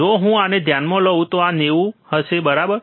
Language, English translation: Gujarati, See if I consider this one this will be 90, right